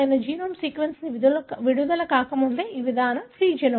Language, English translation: Telugu, This approach is pre genomic, before the genome sequence was released